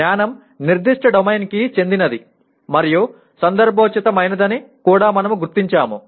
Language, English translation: Telugu, And we also recognize knowledge is domain specific and contextualized